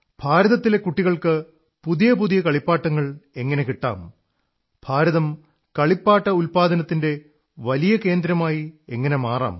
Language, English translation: Malayalam, We discussed how to make new toys available to the children of India, how India could become a big hub of toy production